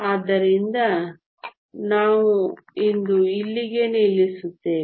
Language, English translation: Kannada, So, we will stop here for today